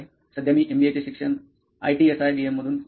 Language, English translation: Marathi, Now I am here pursuing MBA in IT in SIBM